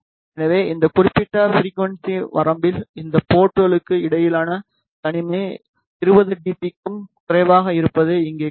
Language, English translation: Tamil, So, here you can see that the isolation between these ports is less than 20 dB throughout this particular frequency range